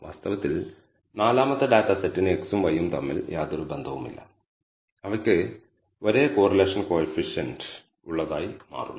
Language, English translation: Malayalam, In fact, the fourth data set has no relationship between x and y and it turns out to be they have the same correlation coefficient